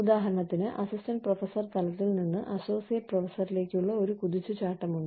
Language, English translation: Malayalam, So, there is a jump from, say, the level of assistant professor, to associate professor